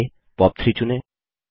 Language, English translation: Hindi, Next, select POP3